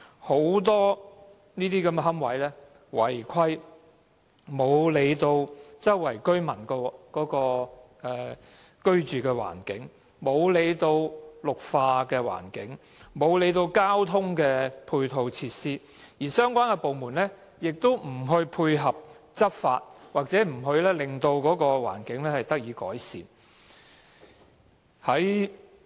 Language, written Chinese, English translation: Cantonese, 很多私營龕位違規，漠視附近居民的居住環境、綠化環境，忽略交通配套設施，而相關部門亦不配合執法，令環境得以改善。, Many private columbaria are unauthorized showing no regard to the living environment of nearby residents a green environment and ancillary transport facilities and the relevant departments have failed to enforce the law correspondingly to improve the environment